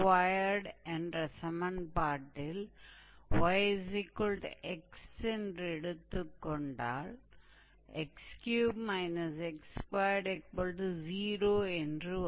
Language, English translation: Tamil, So, x square and minus y will be x to the power 2 by 3